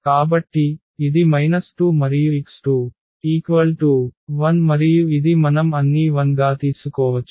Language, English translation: Telugu, So, this is minus 2 and this x 2 is 1 and this we can take 0 all these 0s